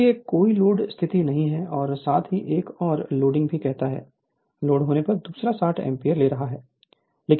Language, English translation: Hindi, So, no load condition as well as you say another loading your, what you call another when it is loaded it is taking 60 ampere